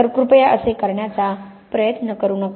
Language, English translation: Marathi, So, you know please try not to do this